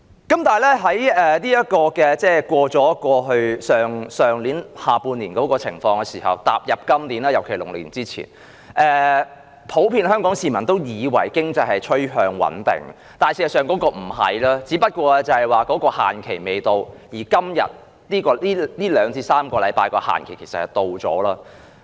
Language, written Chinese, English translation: Cantonese, 然而，當度過去年下半年的情況後，步入今年，尤其是農曆年前，香港普遍市民以為經濟趨向穩定，但事實不是，只是限期未到，而在這2至3個星期裏，限期已到。, Nonetheless after getting through the situation at the latter half of last year the general public at the beginning of this year especially before the Lunar New Year thought that the economy was getting stabilized . But that was not the case as the deadline was not yet due . The deadline will be due in the coming two to three weeks